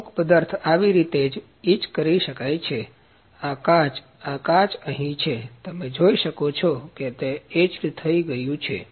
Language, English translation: Gujarati, Few materials can be etched only like this; this glass; this glass it is here, you can see it is etched here